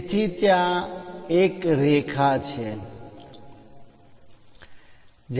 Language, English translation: Gujarati, So, there is a line